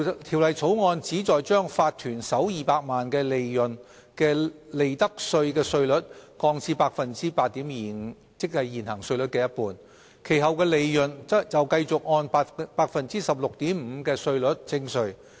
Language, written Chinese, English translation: Cantonese, 《條例草案》旨在將法團首200萬元利潤的利得稅稅率降至 8.25%， 即現行稅率的一半，其後的利潤則繼續按 16.5% 的稅率徵稅。, The Bill aims at lowering the profits tax rate for the first 2 million of profits of corporations to 8.25 % and profits above that amount will continue to be subject to the tax rate of 16.5 %